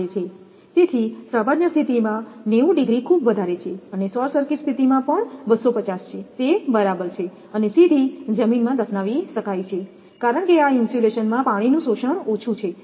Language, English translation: Gujarati, So, 90 degree normal is quite high and short circuit 250 also it is ok and can be buried directly in soil as this insulation has low water absorption